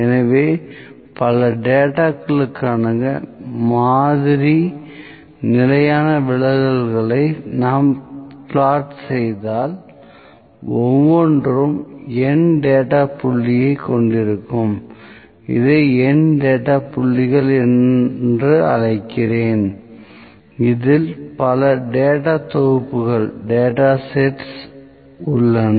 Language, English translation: Tamil, So, if we plot the sample standard deviations for many data sets each having N data point let me call it N data points, there are many data sets